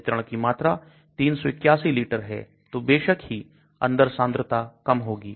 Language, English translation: Hindi, Again the volume of the distribution is 381 liters, so obviously the concentration inside will be low